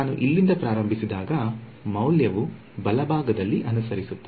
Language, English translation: Kannada, When I start from here the value will follow along a right